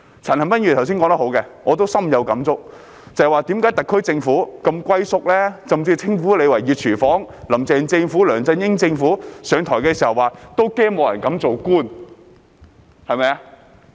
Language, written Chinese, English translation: Cantonese, 陳恒鑌議員剛才說得很好，我亦深有感觸，便是為何特區政府如此"龜縮"，甚至被稱為"熱廚房"，"林鄭"政府和梁振英政府上台時，也曾說擔心沒有人敢做官。, Just now Mr CHAN Han - pan has made a very good point and I also have deep feelings about why the SAR Government has holed up and even been called the hot kitchen . When Carrie LAMs administration and LEUNG Chun - yings administration assumed office they had expressed worries that no one would dare to be government officials